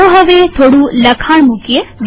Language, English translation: Gujarati, Let us now put some text